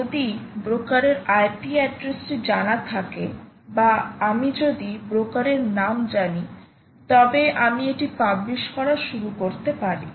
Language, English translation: Bengali, p address of the broker, if i know the name of the broker, i can start publishing it